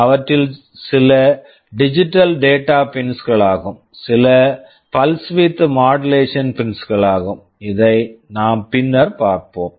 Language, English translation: Tamil, Some of them are digital data pins, some of them are pulse width modulation pins; these we shall see later